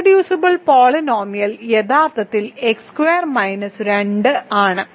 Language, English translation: Malayalam, So, it is irreducible polynomial is actually x squared minus 2